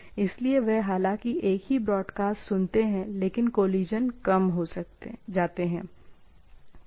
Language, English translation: Hindi, So, they, though they listen to the same broadcast, but collisions are reduced